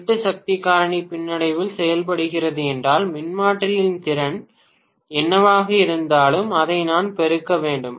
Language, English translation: Tamil, 8 power factor lag with 100 percent load then I have to multiply whatever is the capacity of the transformer, that is 100 percent multiplied by 0